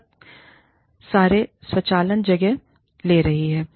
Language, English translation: Hindi, A lot of automation, has taken place